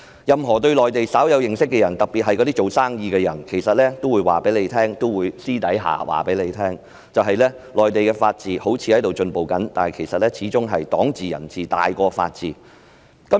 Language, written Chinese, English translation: Cantonese, 任何對內地稍有認識的人特別是營商人士私下也會說，即使內地法治看似有進步，但其實始終是黨治、人治凌駕法治。, Anyone having some knowledge of the Mainland especially businessmen would say in private that even though there seems to have been some progress in the rule of law on the Mainland after all rule by the Communist Party of China CPC and rule by man overrides the rule of law